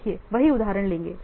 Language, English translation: Hindi, So you see an example